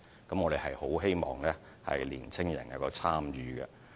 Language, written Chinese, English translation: Cantonese, 我們十分希望年青人能夠積極參與。, We earnestly hope that young people can actively participate in the scheme